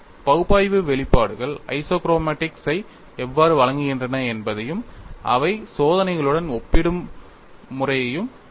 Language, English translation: Tamil, Let us see, how the analytical expressions provide the isochromatics and what way they compare with experiments